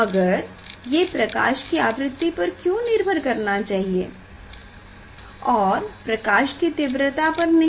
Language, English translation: Hindi, why it should depend on the frequency of the light; why it should not depend on the intensity of light, ok